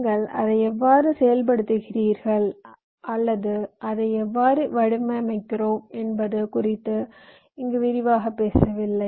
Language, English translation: Tamil, we are not going into detail as to how you are implementing it or how you are designing it